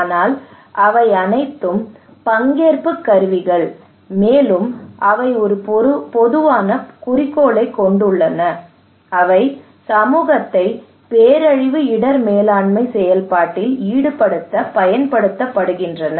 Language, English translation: Tamil, But all of them, all participatory tools, they have one common objective that is they wanted to involve community into the disaster risk management process